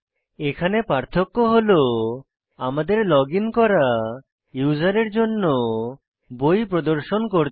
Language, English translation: Bengali, Here the difference will be that we have to display the books for the logged in user